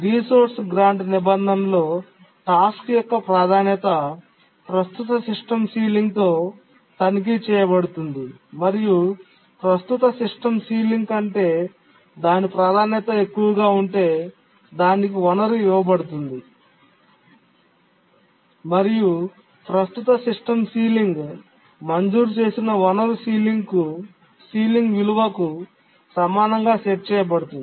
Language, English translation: Telugu, In the resource grant clause, the task's priority is checked with the current system sealing and if its priority is greater than the current system ceiling then it is granted the resource and the current system sealing is set to be equal to the ceiling value of the resource that was granted